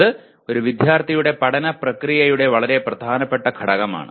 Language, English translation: Malayalam, That is a very important component of a student’s learning process